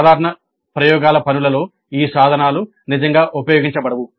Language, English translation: Telugu, In the regular laboratory works these instruments are not really made use of